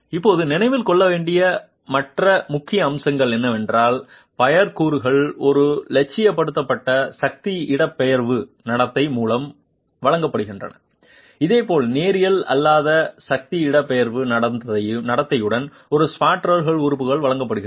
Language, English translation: Tamil, Now the other important aspect to remember is the pure elements are provided with an idealized force displacement behavior and similarly a spandrel element is also provided a nonlinear force displacement behavior